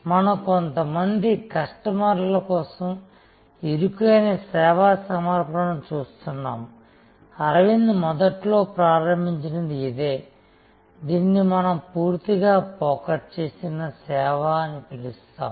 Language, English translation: Telugu, So, we are looking at narrow service offering for a few customers, this is where Aravind started initially, this is what we call fully focused service